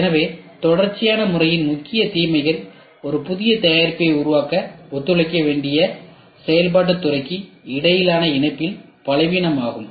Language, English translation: Tamil, So, the main disadvantages of the sequential method is the weakness of the link between the functional department that should cooperate to develop a new product